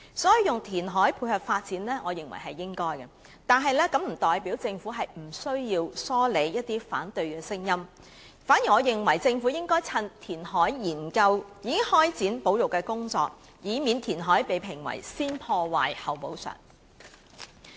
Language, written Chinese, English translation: Cantonese, 因此，我認為應該進行填海以配合發展，但這並不代表政府無需疏理反對聲音，我認為政府應該在研究填海時便開展保育工作，以免填海被評為先破壞、後補償。, For this reason I consider that reclamation should be carried out to tie in with the development but it does not mean the Government needs not address the opposition voices . In my view while the Government conducts a study on reclamation it should commence conservation work to pre - empt the criticism that reclamation is destruction before compensation